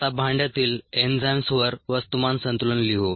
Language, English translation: Marathi, now let us write a mass balance on the enzyme